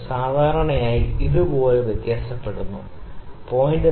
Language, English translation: Malayalam, It generally it varies like this, ok